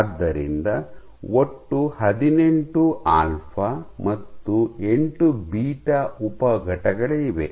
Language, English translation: Kannada, So, in total there are 18 alpha and 8 beta sub units